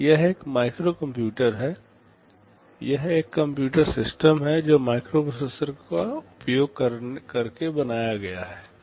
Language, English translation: Hindi, This is a microcomputer, it is a computer system built using a microprocessor